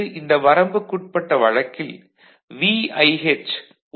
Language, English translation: Tamil, So, for the VIH we say this limiting case is 1